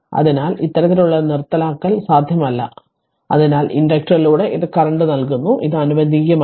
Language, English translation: Malayalam, So, this kind of discontinuous not possible right so this is given current through inductor this is not allowed right